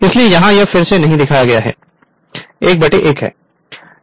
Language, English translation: Hindi, So, here it is not shown again 1 is to 1 right